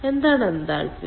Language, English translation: Malayalam, what is the enthalpy